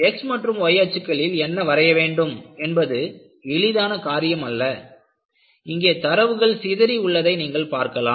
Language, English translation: Tamil, In fact, arriving at, what should be the way x axis to be plotted and y axis to be plotted is not simple and what you see here is, you have a scatter of data